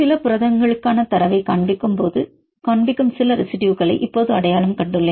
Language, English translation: Tamil, So, now I identified some residues I show the data for some of the proteins